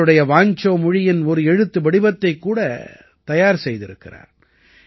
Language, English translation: Tamil, A script of Vancho language has also been prepared